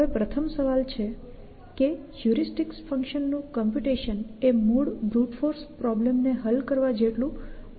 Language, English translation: Gujarati, Now, the first question arises to that you would ask is that computing the heuristic functions should not be as expensive as solving the original grout force problem